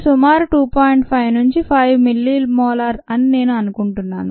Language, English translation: Telugu, i think it's about two point five to five millimolar